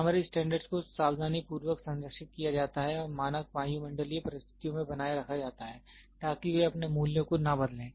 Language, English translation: Hindi, Primary standard are preserved carefully and maintained under standard atmospheric condition, so that they do not change their values